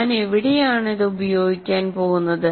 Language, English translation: Malayalam, Say, where am I going to use it